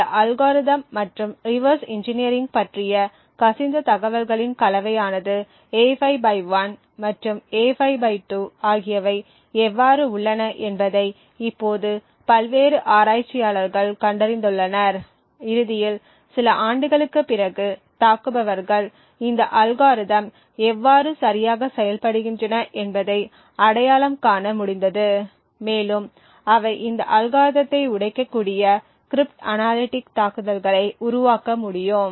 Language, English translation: Tamil, Now so various researchers have figured out how A5/1 and A5/2 there is a combination of leaked information about this algorithm plus reverse engineering and eventually after a few years the attackers were able to identify how exactly this algorithms function and they would be able to create crypt analytic attacks which can break these algorithms